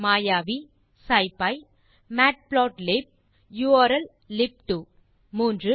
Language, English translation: Tamil, Mayavi scipy matplotlib urllib2 3